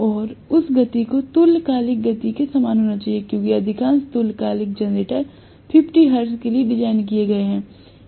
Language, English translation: Hindi, And that speed should be exactly corresponding to synchronous speed because most of the synchronous generators are designed for 50 hertz